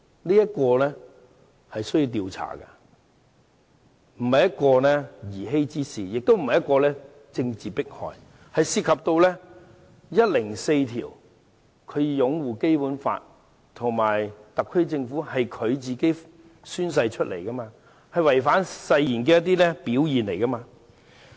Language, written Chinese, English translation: Cantonese, 這件事需要時間調查，不是兒戲之事，也不是政治迫害，而是涉及《基本法》第一百零四條所提及的擁護《基本法》和特區政府，即他宣誓的內容，而他的行為是違反誓言的表現。, It takes time to investigate the incident . This is neither child play nor political persecution . For the incident is about the upholding of the Basic Law and the SAR Government which is included in the content of his oath and whether his conduct manifests a breach of his oath